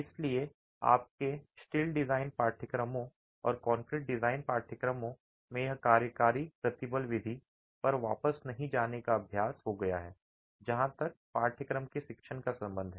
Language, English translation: Hindi, So, in your steel design courses and concrete design courses, it's become practice not to go back to the working stress method as far as the teaching of the course is concerned